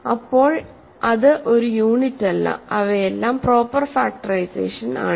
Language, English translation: Malayalam, So, it is not a unit that means, these are all proper factorizations